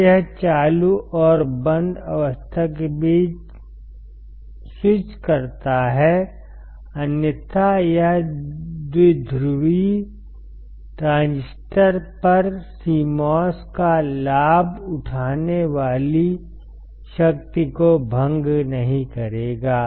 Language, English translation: Hindi, When it switches between the on state and off state, otherwise it will not dissipate the power that is the advantage of CMOS over the bipolar transistors